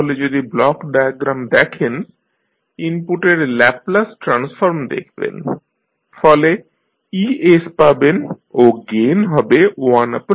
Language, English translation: Bengali, So, if you see the block diagram, you use the Laplace transform of the input, so you get es then gain is 1 by L this is the summation block